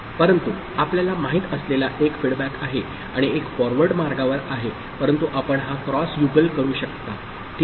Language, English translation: Marathi, But there is one feedback you remember and one is in the forward path, but this is the way you can draw it, ok